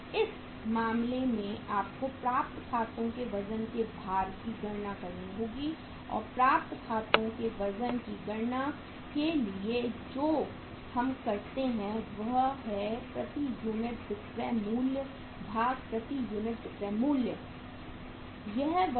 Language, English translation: Hindi, So in this case you have to calculate the weight of War weight of accounts receivable and for calculating the weight of accounts receivable what we do is selling price per unit divided by selling price per unit